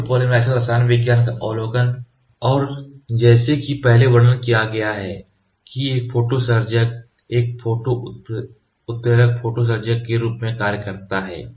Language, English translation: Hindi, The overview of photopolymer chemistry and as described the earlier a photo initiator acts as a catalyst photo initiator